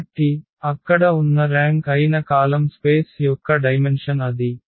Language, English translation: Telugu, So, that was the dimension of the column space that was the rank there